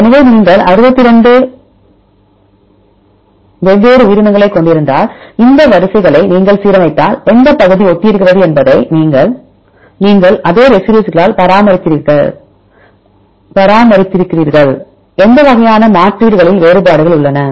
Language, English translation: Tamil, So if you have different organisms and if you align these sequences then you can see which region are similar which region you have maintained the same residue and where we have the variations and variations happen in which type of substitutions